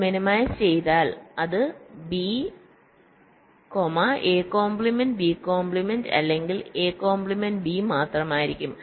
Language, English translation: Malayalam, so if you minimize, it will be only b, a bar b bar or a bar b